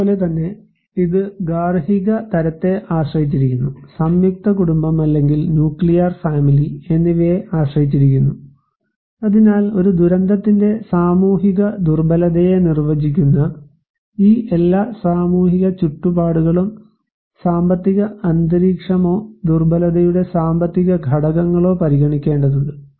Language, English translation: Malayalam, So and also it depends on household type, is on joint family or nuclear family, so these all social environments that define the social vulnerability of a disaster, we have to also consider the economic environment or economic factors of vulnerability